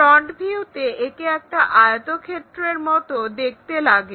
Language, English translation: Bengali, In the front view it looks like a rectangle